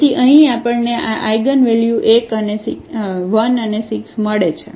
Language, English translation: Gujarati, So, here we get these eigenvalues as 1 and 6